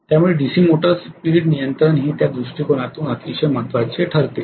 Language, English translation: Marathi, So DC motor speed control becomes very important from that point of view